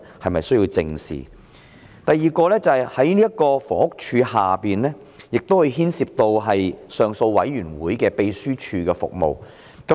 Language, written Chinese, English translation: Cantonese, 此外，房屋署的總目下亦牽涉到上訴委員會秘書處的服務。, In addition the head involving HD also covers the services provided by the Appeal Secretariat